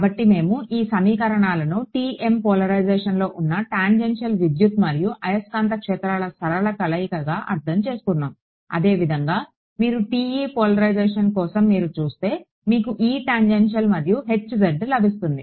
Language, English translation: Telugu, So, we have interpreted these equations as sort of a linear combination of the tangential electric and magnetic fields this was in TM polarization; similarly, if you for TE polarization you would get E tangential and Hz